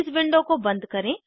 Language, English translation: Hindi, Close this window